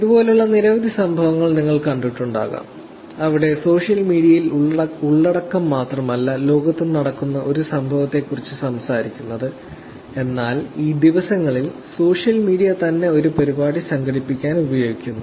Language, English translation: Malayalam, There have been many incidences like this which you may have come across, where it is not that content on social media is talking about an incident that happens on in the real world, but these day social media itself as being used for organizing an event